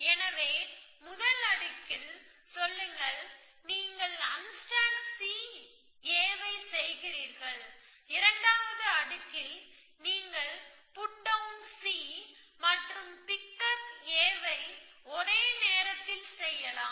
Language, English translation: Tamil, So, let say in the first layer, you unstack C A and in the second layer you put down C and pick up A at the same time